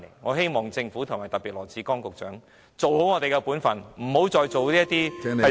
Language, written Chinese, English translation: Cantonese, 我希望政府特別是羅致光局長做好本分，不要再做一些傷天害理的事情。, I hope that the Government especially Secretary Dr LAW Chi - kwong can perform his own duties properly instead of engaging in any evil deeds